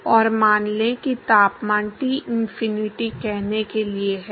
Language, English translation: Hindi, And let us say the temperature is Tinfinity to let say